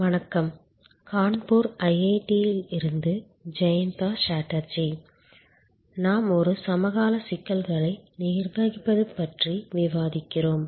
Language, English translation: Tamil, Hello, this is Jayanta Chatterjee from IIT, Kanpur and we are discussing Managing Services a Contemporary Issues